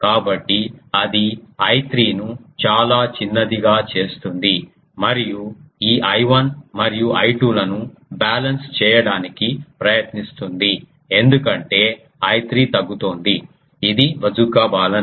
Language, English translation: Telugu, So, that will make I 3 very small and that will try to balance this I 1 and I 2 because I 3 is becoming reduce; this is the Bazooka Balun